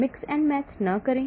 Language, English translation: Hindi, Do not mix and match